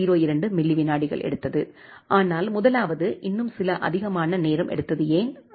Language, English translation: Tamil, 02 milliseconds something like that, but the first one has taken certain more time why that is so